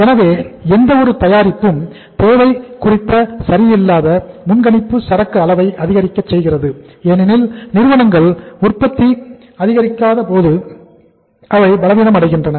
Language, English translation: Tamil, So because of sometime of imperfect prediction of demand for any product increases the inventory level because companies strengthen the manufacturing process